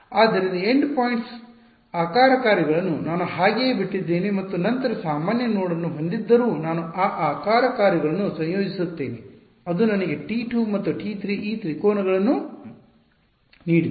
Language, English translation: Kannada, So, the endpoints shape functions I left them as it is and then whatever had a common node I combine those shape functions that gave me T 2 and T 3 these triangles